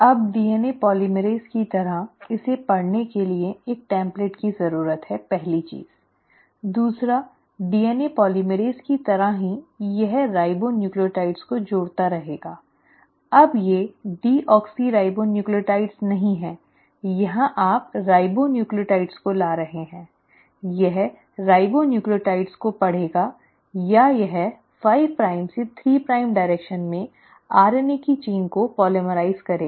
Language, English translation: Hindi, Now just like DNA polymerase, it needs a template to read, the first thing, second just like DNA polymerase it will keep on adding the ribonucleotides; now these are not deoxyribonucleotides, here you are bringing in the ribonucleotides; it will read the ribonucleotides, or it will polymerise the chain of RNA in the 5 prime to 3 prime direction